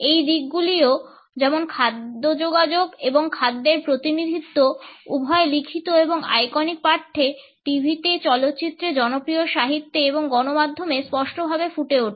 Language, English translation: Bengali, These aspects also clearly emerge in food communication and representation of food, both in written and iconic text, on TV, in movies, in popular literature and mass media